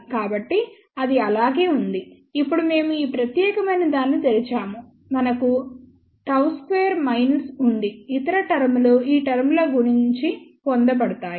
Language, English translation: Telugu, So, that remains as it is, now we open this particular thing so, we have gamma s square minus the other terms are obtained multiplying these terms